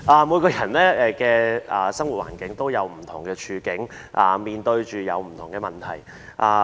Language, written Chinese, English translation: Cantonese, 每個人生活環境都不同，面對不同的問題。, Every one of us lives in a different environment and has different problems